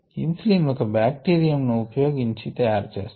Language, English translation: Telugu, ah, insulin is made by using bacteriumthey have taken the insulin gene